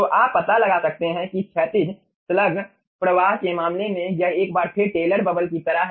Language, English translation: Hindi, so you can find out that in case of horizontal slug flow, this is once again like a taylor bubble